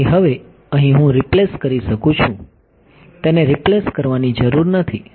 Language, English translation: Gujarati, So, now, over here I can replace, need not replace it